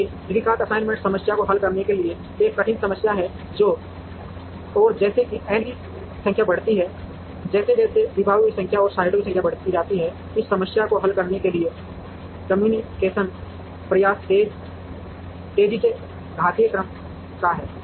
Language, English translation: Hindi, Nevertheless the quadratic assignment problem is a difficult problem to solve, and as the number of as n increases, as the number of departments and the number of sites increases, the computational effort to solve this problem optimally is of exponential order